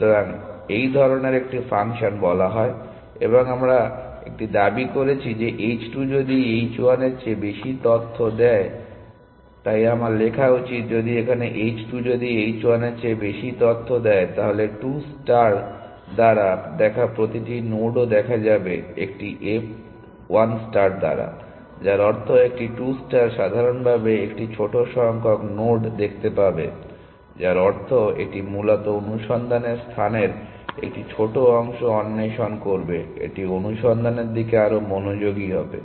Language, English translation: Bengali, So, such a function is called and we are making a claim that if h 2 is more inform than h 1 so I should write if here if h 2 is more informed than h 1, then every node seen by a 2 star is also seen by a 1 star, which means a 2 star will see in general a smaller number of nodes, of which means it will explore a smaller part of the search space essentially, it will be more focused towards the search